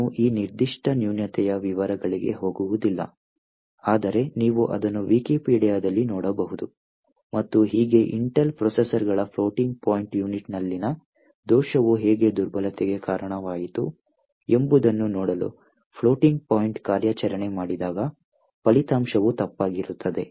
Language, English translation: Kannada, I would not go to into the details of this particular flaw, but you could actually look it up on Wikipedia and so on to see a roughly in the mid 90s, how a flaw in the floating point unit of Intel processors had led to a vulnerability where, when you do a floating point operation, the result would be incorrect